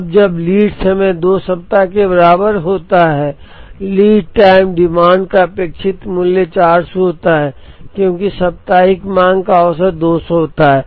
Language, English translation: Hindi, Now, when lead time is equal to 2 weeks expected value of lead time demand is 400 because, weekly demand is has an average of 200